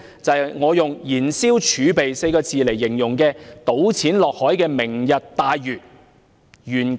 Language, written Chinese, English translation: Cantonese, 就是我以"燃燒儲備 "4 個字來形容，就是那個"倒錢落海"的"明日大嶼願景"計劃。, It was the time when I used the phrase burning our fiscal reserves to describe the Lantau Tomorrow Vision a programme which is actually dumping money into the sea